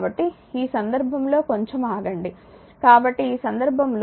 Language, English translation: Telugu, So, in this case your just hold on; so, in this case this is i is equal to 4 ampere